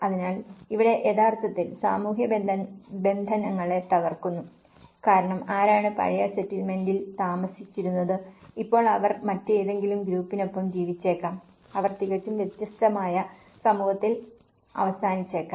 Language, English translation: Malayalam, So, here, which actually breaks the social bondages because who was living in the old settlement and now, they may live with some other group, they may end up with completely different community